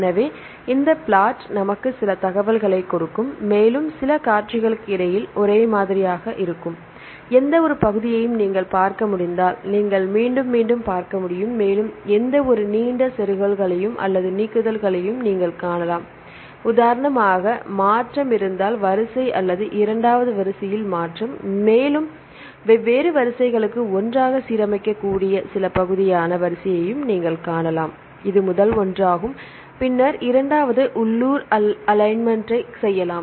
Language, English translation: Tamil, So, this plot will give some information and regard you can see some repeats, if you can any region which is the same in between the two sequences and you can see any long insertions or the deletions for example, if there is shift in the first sequence or the shift in the second sequence, and also you can see some portioned sequence which can be aligned together for the different sequences this is the first one, then the second one you can do local alignments